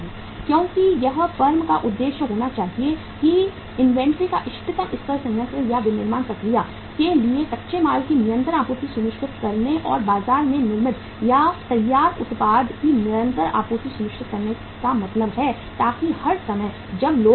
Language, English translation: Hindi, Because it should be firm’s objective that the optimum level of inventory means ensuring the continuous supply of raw material to the plant or to the manufacturing process and ensuring the continuous supply of the manufactured or finished product to the market so that all the times when people want to buy any company’s product the product is available on the shelf